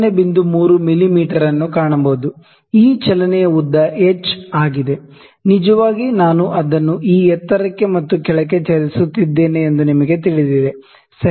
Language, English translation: Kannada, 3 mm, this movement this is length of h actually you know I am moving it up and down this height, ok